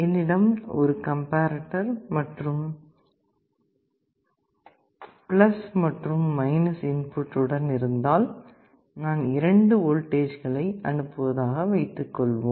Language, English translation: Tamil, Suppose I have a comparator like this + and , I have two inputs I apply two voltages